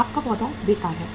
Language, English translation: Hindi, Your plant is idle